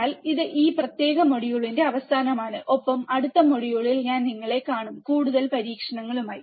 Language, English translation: Malayalam, So, this is the end of this particular module, and I will see you in the next module with more experiments